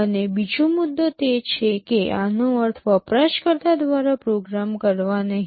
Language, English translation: Gujarati, And another point is that, this is not meant to be programmed by the user